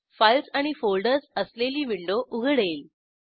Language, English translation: Marathi, A window with files and folders opens